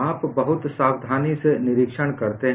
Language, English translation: Hindi, You observe very carefully and listen very carefully